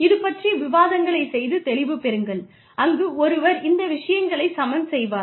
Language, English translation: Tamil, So, have these discussions, and get a feel for, where one would balance these things out